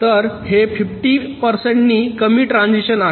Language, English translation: Marathi, so it is fifty percent less transitions